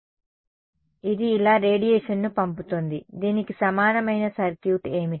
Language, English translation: Telugu, So, it is sending out radiation like this, correct what is the circuit equivalent of this